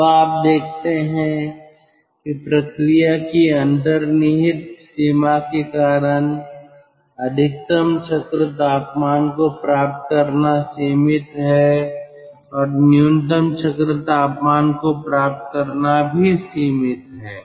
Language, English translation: Hindi, so you see, due to the inherent limitation of the process, ah, achieving maximum cycle temperature is restricted and achieving minimum cycle temperature, that is also restricted